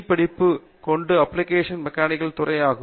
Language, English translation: Tamil, He is a professor in the Department of Applied Mechanics